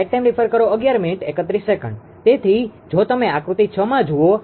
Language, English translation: Gujarati, So, if you look at figure 6 ah right